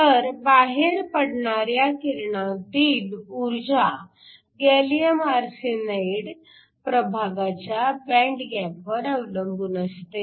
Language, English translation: Marathi, So, The energy of the radiation that comes out depends upon the band gap of the gallium arsenide region